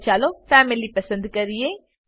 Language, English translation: Gujarati, Next lets select Family